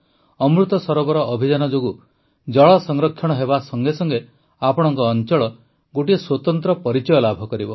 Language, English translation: Odia, Due to the Amrit Sarovar Abhiyan, along with water conservation, a distinct identity of your area will also develop